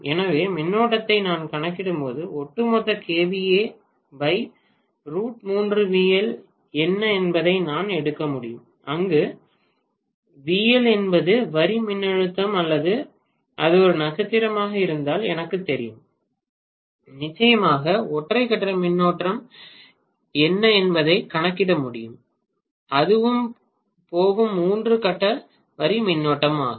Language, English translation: Tamil, So when I calculate the current I can take what is the overall Kva rating divided by root 3 times vl, where the vl is the line voltage or if it is a star I know for sure I can definitely calculate what is the single phase current also that will go as the three phase line current as well